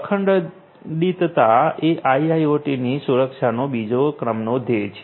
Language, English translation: Gujarati, Integrity is the second goal of IIoT security